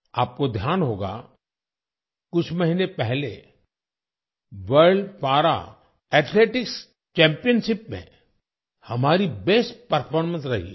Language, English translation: Hindi, You might remember… a few months ago, we displayed our best performance in the World Para Athletics Championship